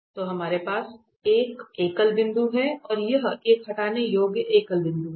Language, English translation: Hindi, So, we have a singular point and if it is a removable singular point